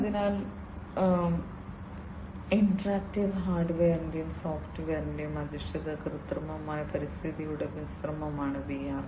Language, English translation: Malayalam, So, VR is a mixture of interactive hardware and software based artificial environment, right